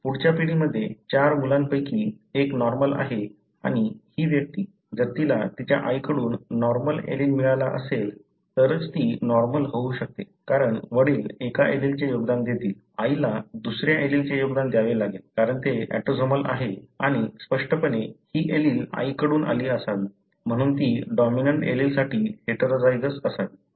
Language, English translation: Marathi, In the next generation, of the four children, one of them is normal and this individual, he could be normal only if he had received a normal allele from her mother, because father would contribute one allele, mother has to contribute the other allele, because it is autosomal and obviously, this allele should have come from mother, therefore she should be heterozygous for the dominant allele